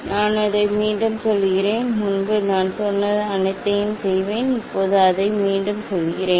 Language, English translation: Tamil, I repeat it, earlier I will all I told and now also I repeat it